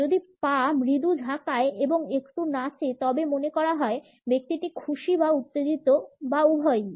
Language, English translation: Bengali, If the feet get jiggly and do a little dance the person is happy or excited or both